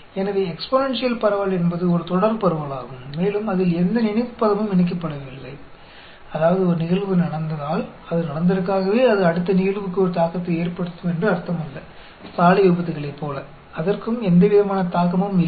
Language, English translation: Tamil, So, exponential distribution is a continuous distribution and it has no memory term attached to it; that means, just because an event has happened, that does not mean that will have a bearing on the next event; like the road accidents, there are no bearing on that at all